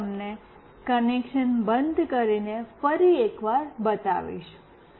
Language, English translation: Gujarati, Now, I will show you once more by switching off the connection